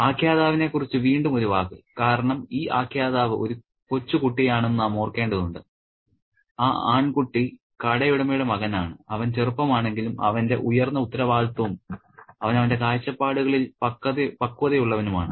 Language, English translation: Malayalam, And a word about the narrator again because we need to remember that this narrator is a young child, the boy, the son of the shopkeeper, he is young, yet he is highly responsible and he is mature in his perspectives